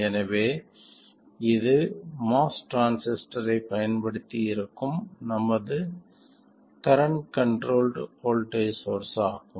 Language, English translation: Tamil, We have synthesized the topology of the current controlled voltage source using a MOS transistor